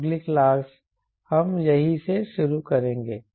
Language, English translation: Hindi, so next class, we will be staring from here right